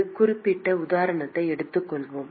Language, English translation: Tamil, Let us take a specific example